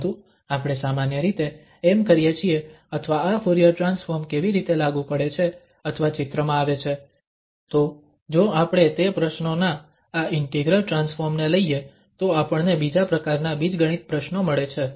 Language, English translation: Gujarati, But what we do usually or how this Fourier transform is applicable or coming into the picture, so if we take this integral transform of those problems, we get either algebraic problems